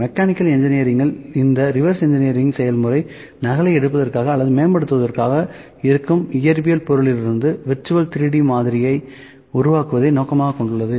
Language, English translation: Tamil, So, in mechanical engineering this process reverse engineering aims to create virtual 3D model from an existing physical object in order to duplicate or in to enhance it